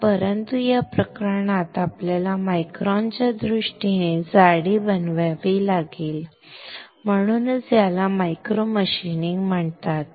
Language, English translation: Marathi, So, but in this case we have to make the thickness in terms of microns; that is why this is called micro machining